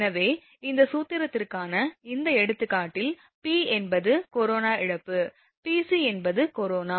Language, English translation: Tamil, So, in this example for this formula P is the corona loss, Pc actually is the corona here, I have written Pc, so here it is P c